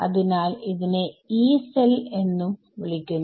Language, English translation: Malayalam, So, it is also called a Yee cell